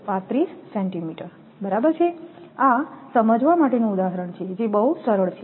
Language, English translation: Gujarati, 935 centimeter right this is example to understand level right easy one